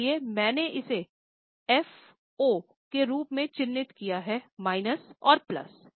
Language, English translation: Hindi, So, I have marked it as F, minus and plus